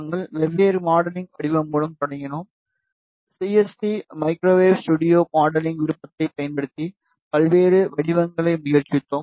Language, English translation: Tamil, We started with different modeling shape, we tried various shapes using CST microwave studio modeling option